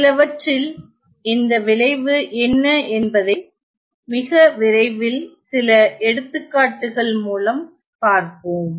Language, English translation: Tamil, We will see what this effect is very soon in some of our example